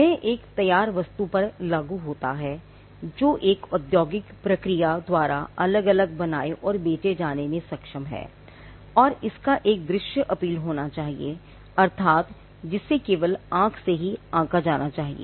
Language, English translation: Hindi, It is applied to a finished article which is capable of being made and sold separately by an industrial process and it should have a visual appeal meaning which it should be judged solely by the eye